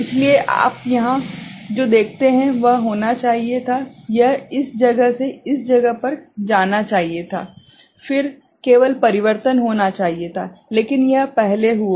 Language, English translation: Hindi, So, here what you see, it should have been, it should have gone from this place to this place right, then only the change should have taken place, but it has occurred earlier ok